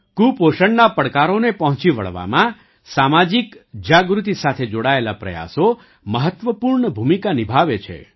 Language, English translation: Gujarati, Efforts for social awareness play an important role in tackling the challenges of malnutrition